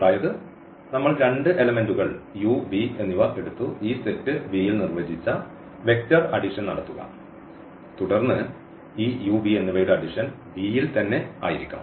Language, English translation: Malayalam, So, that is the additive closure property of this set that we take any two elements and do this vector addition which has to be defined for this given set V then this addition of this u and v must belong to the set V